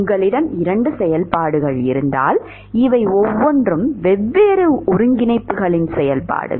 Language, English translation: Tamil, If you have 2 functions each of these are function of different coordinates and if they are equal then they should be